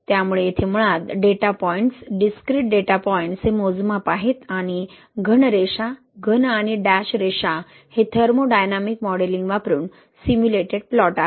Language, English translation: Marathi, So here basically the data points, discrete data points are the measurements and the solid lines, solid and dashed lines the simulated plot using thermodynamic modelling